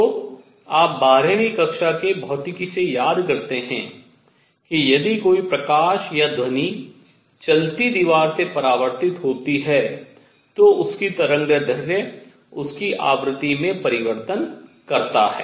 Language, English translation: Hindi, So, you recall from a twelfth grade physics if a light or sound reflects from a moving wall its wavelength changes its frequency changes